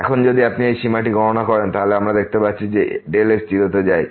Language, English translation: Bengali, Now, if you compute this limit because as we see delta goes to 0